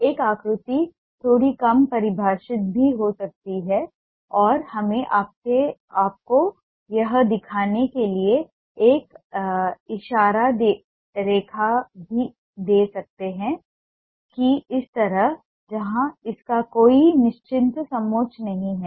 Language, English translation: Hindi, a shape can also be a little less defined and we can you a gesture line to show that, like this, where it doesn't' have a definite contour